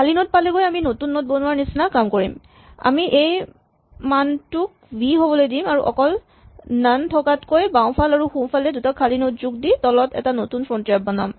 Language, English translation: Assamese, If you find that we have reached an empty node then we do the equivalent of creating a new node here we set this value to be v and we create a new frontier below by adding two empty nodes in the left and right rather than just having none